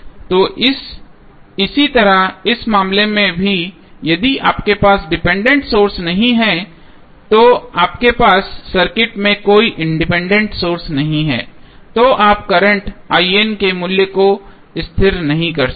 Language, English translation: Hindi, So, similarly in this case also if you do not have dependent source, you do not have any independent source in the circuit you cannot stabilized the value of current I N